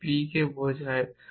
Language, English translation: Bengali, What does p mean